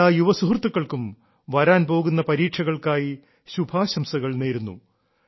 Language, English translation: Malayalam, Best wishes to all my young friends for the upcoming exams